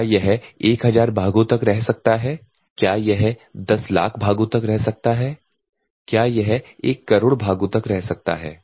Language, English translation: Hindi, Can it come for 1000 parts, can it come for 1,000,000 parts, can it come for 10,000,000 parts